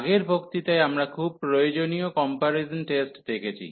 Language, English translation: Bengali, So, in the previous lecture we have seen very useful comparison test